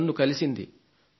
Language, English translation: Telugu, She is 9 years old